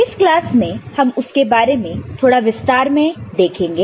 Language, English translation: Hindi, And in this class we shall elaborate more on that